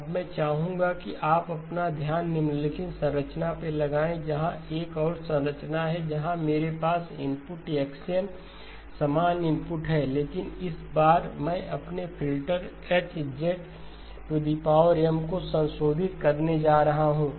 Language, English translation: Hindi, Now I would like you to apply your focus on to the following structure, another structure where I have the input X of N same input, but this time I am going to modify my filter H of Z power M